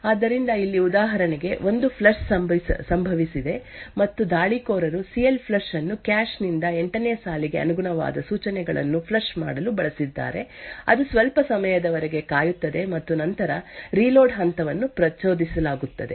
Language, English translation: Kannada, So over here for example, there is a flush that has happened and the attacker has used CLFLUSH to flush out the instructions corresponding to line 8 from the cache, it waits for some time and then the reload step is triggered